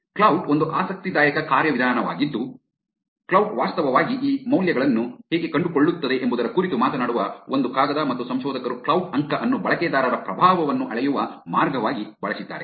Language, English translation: Kannada, Klout is an interesting mechanism that also, a paper which talks about how Klout actually finds out these values and researchers have used Klout score as a way to measure the influence of the users also